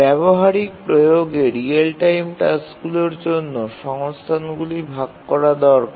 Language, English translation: Bengali, In a practical application, the real time tasks need to share resources